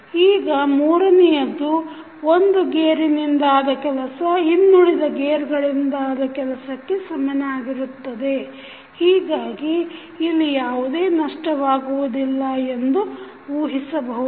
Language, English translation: Kannada, Now, third one is that the work done by 1 gear is equal to that of others, since there are assumed to be no losses